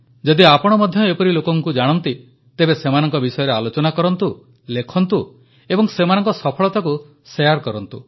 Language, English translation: Odia, If you too know of any such individual, speak and write about them and share their accomplishments